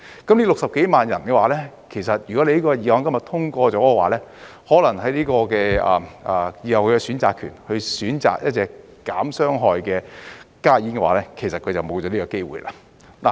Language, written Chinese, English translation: Cantonese, 這60幾萬人，這項法案今日通過了的話，可能他們以後的選擇權，即去選擇一種減少傷害的加熱煙的話，他們便沒有這個機會了。, For these 600 000 - odd people they may be deprived of the right to choose in the future if this Bill is passed today . That means if they wish to choose HTPs which is less harmful they will no longer have the opportunity to do so